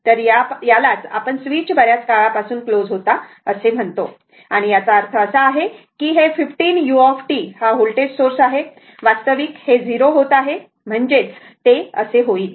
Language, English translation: Marathi, This is your what you call this, this was closed for a long time and that means, this the 15 u t voltage source, actually this is becoming 0 that means, it will be like this, right